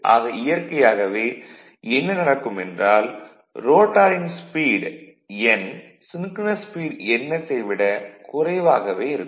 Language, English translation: Tamil, So, naturally what will happen this as rotor is rotating with speed n which is less than ns right which is less than ns